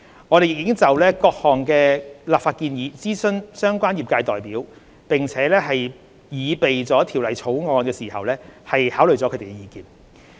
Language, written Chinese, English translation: Cantonese, 我們亦已就各項立法建議諮詢相關業界代表，並在擬備《條例草案》時考慮了他們的意見。, We have also consulted relevant industry representatives on the legislative proposals and have taken into account the industrys feedback when preparing the legislative amendments